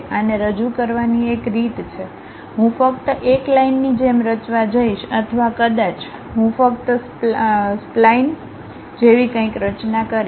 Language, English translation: Gujarati, One way of representing this one is maybe, I will be just going to construct like a line or perhaps, I just construct something like a spline